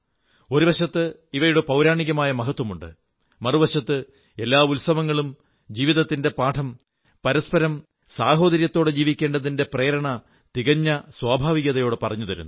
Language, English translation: Malayalam, On the one hand, where they have mythological significance, on the other, every festival quite easily in itself teaches the important lesson of life the value of staying together, imbued with a feeling of brotherhood